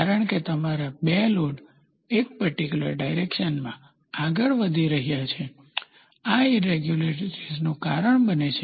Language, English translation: Gujarati, Because your 2 load have moved in one particular direction, on the factor that causes these irregularities in the first place